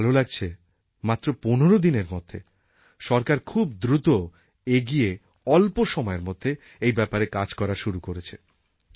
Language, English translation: Bengali, I am happy that in such a short span of time, it has just been 15 days but the government is moving at a very fast pace